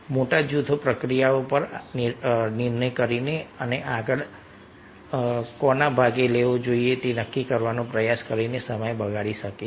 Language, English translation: Gujarati, large groups may waste time by deciding on processes and trying to decide who should participate next